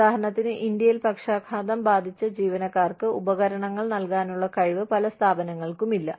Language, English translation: Malayalam, For example, in India, not too many organizations, have the ability to provide, equipment for paraplegic employees, for example